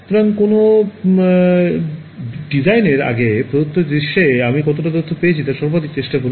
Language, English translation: Bengali, So, before designing something try to maximize how much information I can get in a given scenario